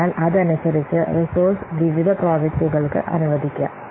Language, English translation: Malayalam, So accordingly accordingly, the resources can be allocated to different projects